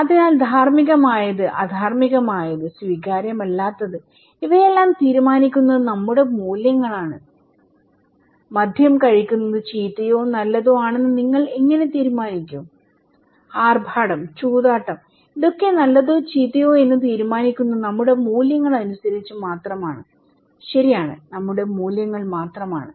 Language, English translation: Malayalam, So, what is ethical unethical, acceptable unacceptable, these are all our values, how do you decide that taking alcohol is bad or good, from being flamboyant is good or bad, gambling is just our values, right, just our values